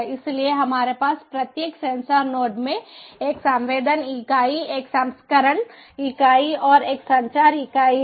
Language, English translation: Hindi, so we have in every sensor node a sensing unit, a processing unit and a communication unit